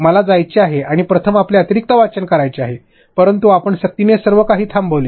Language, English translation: Marathi, I want to go and read your additional reading first, but your forced everything finished stopped